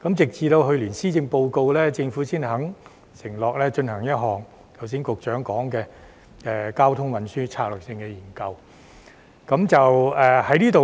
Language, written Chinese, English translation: Cantonese, 直至去年的施政報告，政府才願意承諾進行剛才局長談及的《交通運輸策略性研究》。, The Secretary has just offered an explanation in this regard . Only in the Policy Address last year did the Government undertake to conduct the traffic and transport strategy study mentioned by the Secretary just now